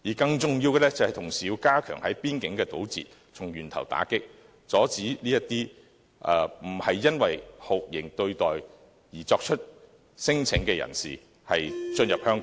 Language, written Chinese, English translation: Cantonese, 更重要的是，當局同時要加強邊境堵截，從源頭打擊，阻止這些不是因為酷刑對待而作出聲請的人士進入香港。, More importantly the authorities should also step up interception at border control points to stem the problem at source and prevent people who are not subject to any torture treatment from entering Hong Kong